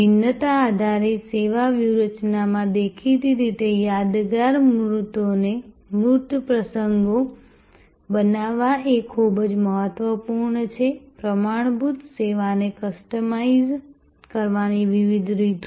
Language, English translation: Gujarati, In the differentiation driven service strategy; obviously creating memorable tangible occasions are very important, different ways of customizing the standard service